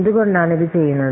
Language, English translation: Malayalam, So because why we are doing this